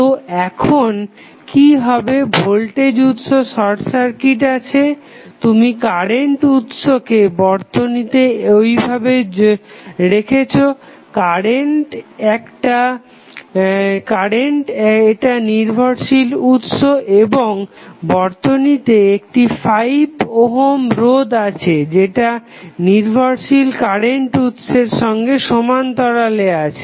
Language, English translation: Bengali, So, what will happen now the voltage source is short circuited, you are leaving current source as it is in the network, because it is a dependent current source and then you have 5 ohm resisters which is there in the circuit in parallel with dependent current source